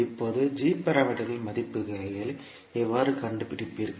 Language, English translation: Tamil, Now, how you will find out the values of g parameters